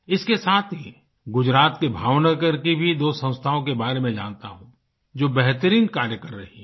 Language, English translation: Hindi, Along with this I know two organisations in Bhav Nagar, Gujarat which are doing marvellous work